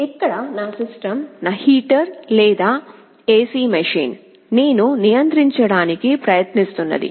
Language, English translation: Telugu, So, my system here is my heater or AC machine or whatever I am trying to control